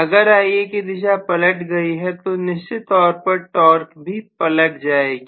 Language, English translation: Hindi, If Ia direction has reversed, I am definitely going to have the torque also reversed